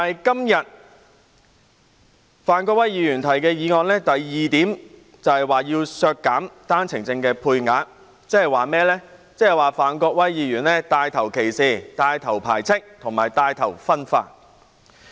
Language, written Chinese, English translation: Cantonese, "然而，范國威議員今天所提議案的第二部分就是要削減單程證配額，即是他牽頭歧視、排斥及分化。, But part 2 of Mr Gary FANs motion today seeks to reduce the OWP quota . That means he takes the lead in discrimination exclusion and division